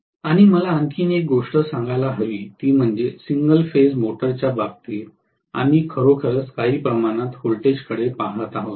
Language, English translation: Marathi, And one more thing I should be able to say is after all, in the case of single phase motor we are looking at actually voltage somewhat like this